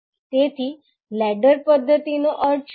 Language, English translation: Gujarati, So, what does ladder method means